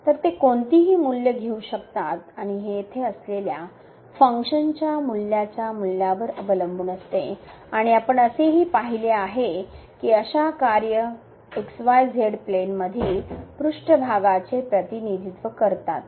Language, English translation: Marathi, So, they can take any values and this that depends on the value of the I mean this functional value here and we have also seen that such functions represent surface in the xyz plane